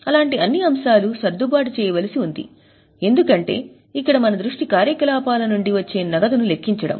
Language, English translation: Telugu, All such scenarios need to be adjusted because here our focus is for calculating the cash from operations